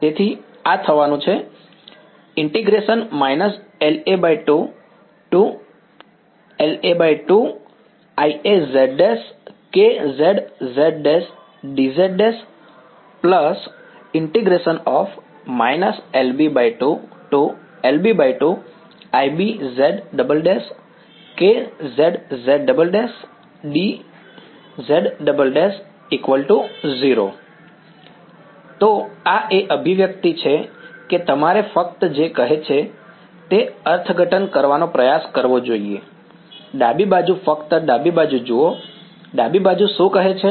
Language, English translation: Gujarati, So, this is the expression that you should try to interpret what is just saying that, the left hand side just look at the left hand side, what is the left hand side saying